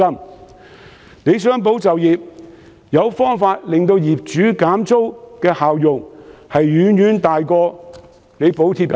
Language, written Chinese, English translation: Cantonese, 政府若想"保就業"，促使業主減租的效用遠遠大於補貼工資。, In order to safeguard jobs it is far more effective for the Government to urge landlords to reduce rent than to provide wage subsidies